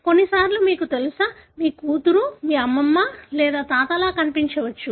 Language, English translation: Telugu, Sometimes you know, your daughter may look more like your grandmother or grandfather